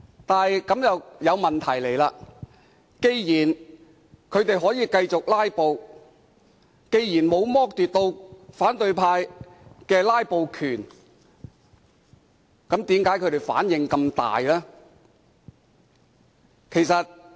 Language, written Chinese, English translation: Cantonese, 但是，這樣便帶出一個問題：既然他們可以繼續"拉布"，既然反對派的"拉布"權沒有被剝奪，他們為何反應這樣大？, However this will bring out a question since opposition Members can continue to filibuster and they are not deprived of their right to filibuster why do they react so strongly?